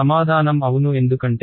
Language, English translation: Telugu, Answer is yes because